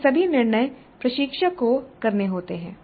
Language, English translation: Hindi, So these are all the decisions that the instructor has to make